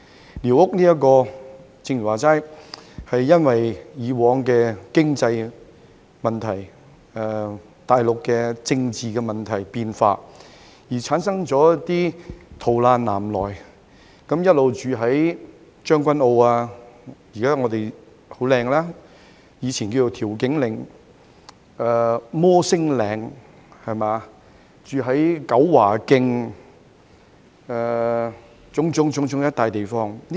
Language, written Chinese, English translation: Cantonese, 正如剛才所說，寮屋的由來是基於過往的經濟問題及大陸政治問題和變化，而導致逃難南來的難民聚居於現已變得很美，但以前稱為調景嶺的將軍澳，以至摩星嶺、九華徑等種種地方。, As mentioned just now the emergence of squatter structures stemmed from the flight of refugees to the South due to the economic difficulties and the Mainland political problems and changes in the past . These refugees resided at various places such as Tseung Kwan O a place which was previously called Tiu Keng Leng and has now become very beautiful Mount Davis and Kau Wa Keng